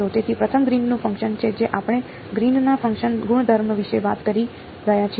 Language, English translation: Gujarati, So, the first is the Green’s function we are talking about properties of the Green’s function